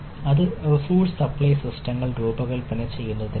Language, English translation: Malayalam, that is ah for designing resource supply systems